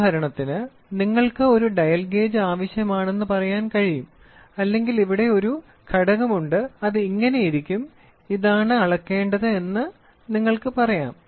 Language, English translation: Malayalam, For example, you can say a dial gauge is required or you say that here is a component which is something like this to measure